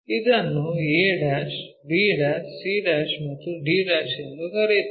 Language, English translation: Kannada, Let us call this is a', b', c', and d'